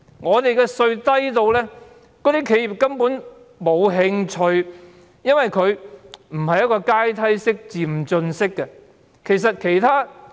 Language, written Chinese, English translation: Cantonese, 我們的利得稅率低至企業根本沒有興趣這樣做，因為稅率不是階梯式、漸進式的。, In the absence of a tiered or progressive tax system our profits tax rates are so low that enterprises have no interest whatsoever in doing so